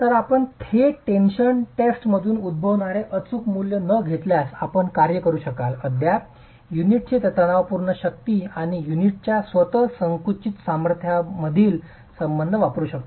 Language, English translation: Marathi, So you could work with, if you don't have the exact value coming out of a direct tension test, you could still use this relationship between the tensile strength of the unit and the compressive strength of the unit itself